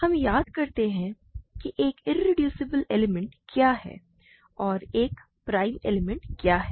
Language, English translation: Hindi, Let us recall what is a, what is an irreducible element, so and what is a prime element